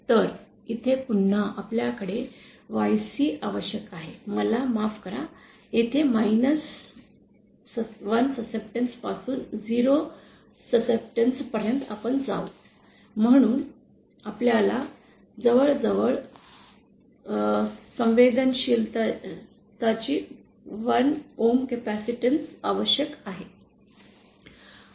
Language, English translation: Marathi, So, again here we need a YC I beg your pardon, here we go from 1 YC susceptance to 0 susceptance, so we need around 1 ohms of capacitance of susceptance to be present in shunt